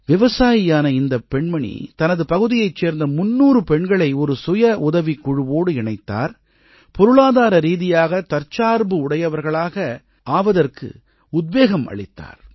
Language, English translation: Tamil, Rajkumari Deviadded 300 women of her area to a 'Self Help Group' and motivated the entire lot become financially selfreliant